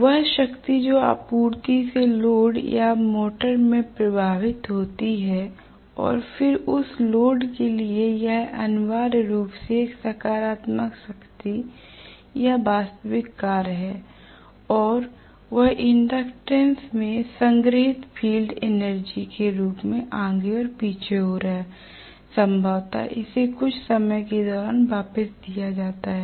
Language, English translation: Hindi, The power what flows from the supply in to the load or into the motor and then to the load that is essentially a positive power or real work done and what is going back and forth in the form of stored field energy probably in the inductance and then it is given back during sometime